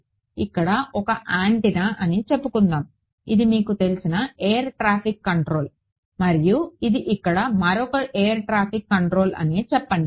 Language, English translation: Telugu, Let us say that this is one antenna over here, let us say this is you know air traffic control and this is another air traffic control over here